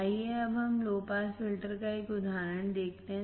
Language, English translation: Hindi, Let us now see an example of low pass filter